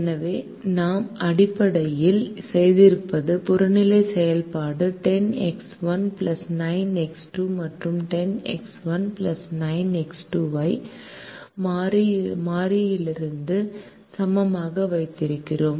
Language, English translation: Tamil, so what we have essentially done is the objective function is ten x one plus nine x two, and we keep ten x one plus nine x two equal to a constant